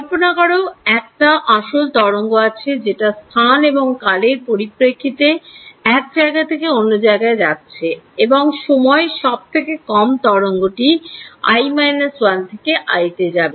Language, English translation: Bengali, Imagine there is a physical wave that is propagating in space and time what is the minimum time required for the wave to go from i minus 1 to i